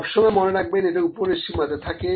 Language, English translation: Bengali, Please remember this is an upper bound, ok